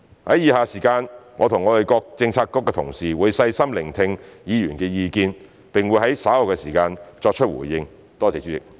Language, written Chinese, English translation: Cantonese, 在以下的時間，我和各政策局的同事會細心聆聽議員的意見，並會在稍後的時間作出回應。, For the rest of the time my fellow colleagues from various Policy Bureaux and I shall listen attentively to Members views and respond to them later